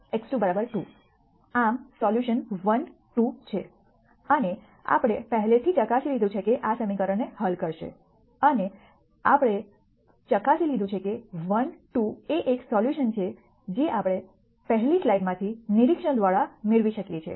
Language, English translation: Gujarati, Thus, the solution is 1 2 and we had already verified that this would solve the equation and we had veri ed that 1 2 is a solution that we can directly get by observation from the previous slide